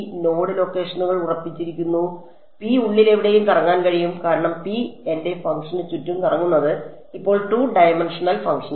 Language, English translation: Malayalam, The node locations are fixed P can roam around anywhere inside, as P roams around my function N 1 e is now a 2 dimensional function